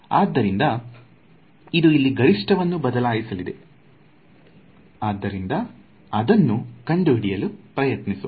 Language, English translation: Kannada, So, it is going to change the maximum over here so let us try to just find out